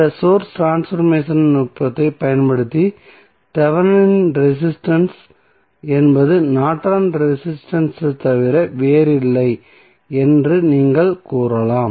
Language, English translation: Tamil, So, using this source transformation technique you can say that Thevenin resistance is nothing but Norton's resistance